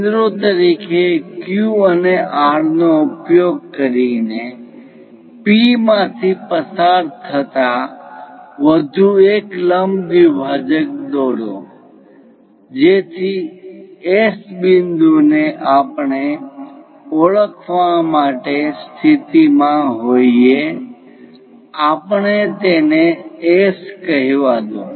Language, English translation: Gujarati, Using Q and R as centers construct one more perpendicular bisector passing through P, so that S point we will be in a position to identify let us call, this is S